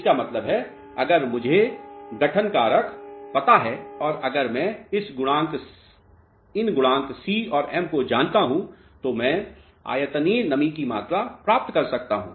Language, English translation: Hindi, That means, if I know the formation factor and if I know these coefficient c and m, I can obtain volumetric moisture content